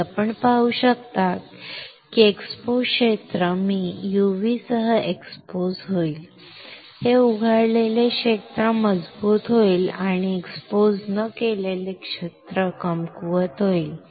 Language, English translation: Marathi, And you can see that the exposed area I will expose with UV; the exposed area that is this one will get stronger and the unexposed area will get weaker